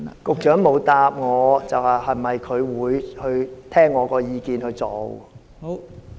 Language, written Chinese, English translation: Cantonese, 局長沒有回答，是否會聽取我的意見去做？, The Secretary has not replied whether he will take heed of my advice